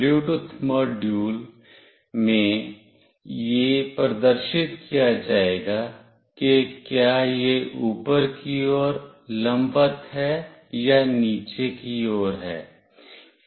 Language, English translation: Hindi, In the Bluetooth module, it will be displayed whether it is vertically up or it is vertically right